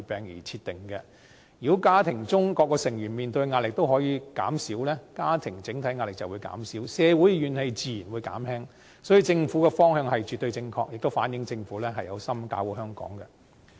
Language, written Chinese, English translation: Cantonese, 如果家庭中各個成員面對的壓力都可以減輕，家庭整體壓力便會減輕，社會怨氣自然會減輕，所以政府的方向絕對正確，亦反映政府有心搞好香港。, If the pressure faced by various members of a family can be alleviated the overall pressure faced by that family will be alleviated and social grievances will naturally be alleviated . For this reason the direction of the Government is absolutely correct reflecting that the Government is resolute in making Hong Kong better